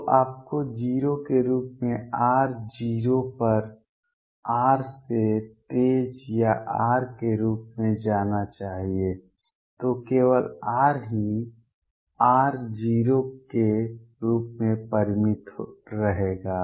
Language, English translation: Hindi, So, you should go to 0 as r tends to 0 faster than r or as r then only r would remain finite as r goes to 0